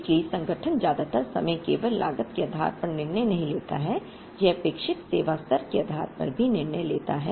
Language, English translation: Hindi, So, the organization does not most of the time make a decision only based on cost, it also makes a decision based on the expected service level